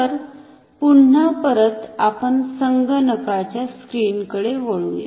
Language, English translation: Marathi, So, let us go back to our computer screen